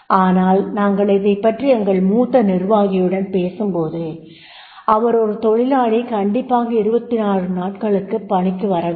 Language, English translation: Tamil, Now, but when we talk to the senior executive, the senior executive said that is no, he is supposed to come for the 26 days